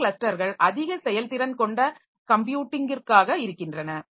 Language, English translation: Tamil, Some clusters are for high performance computing